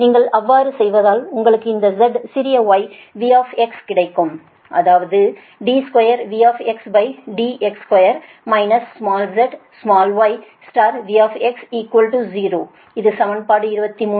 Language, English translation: Tamil, if you do so, you will get that z small z, small y, v x, right, that means d square, v x upon d square, minus small z, small y, into v x equal to zero